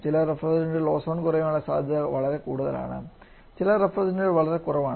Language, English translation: Malayalam, Different refrigerants has different kind of ozone depletion potential